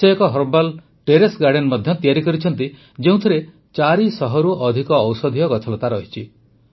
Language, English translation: Odia, She has also created a herbal terrace garden which has more than 400 medicinal herbs